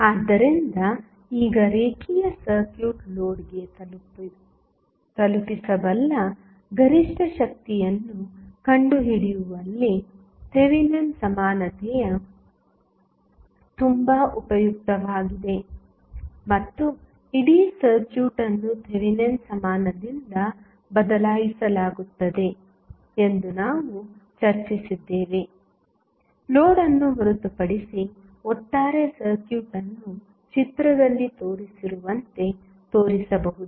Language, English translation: Kannada, So, now, Thevenin equality is very useful in finding the maximum power a linear circuit can deliver to the load and we also discuss that entire circuit is replaced by Thevenin equivalent except for the load the overall circuit can be shown as given in the figure